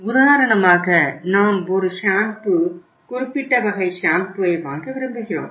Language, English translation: Tamil, For example we want to buy a shampoo, particular type of the shampoo